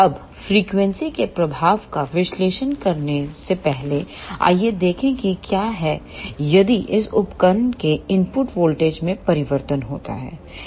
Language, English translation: Hindi, Now, before analyzing the effect of frequency let us see what happens if input voltage of this device changes